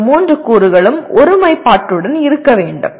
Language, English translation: Tamil, And these three elements should be in alignment with each other